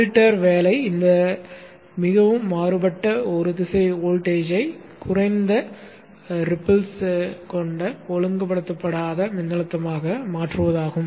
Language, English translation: Tamil, The job of the filter is to transform this highly varying unidirectional voltage into a low ripple unregulated voltage